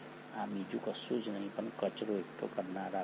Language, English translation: Gujarati, These are nothing but the garbage collectors